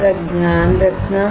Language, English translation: Hindi, Till then, take care